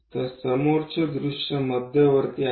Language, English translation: Marathi, So, front view is the central one